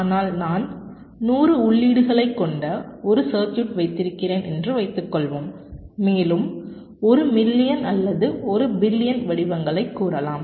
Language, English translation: Tamil, but suppose i have a circuit with hundred inputs and i am applying, lets say, one million or one billion patterns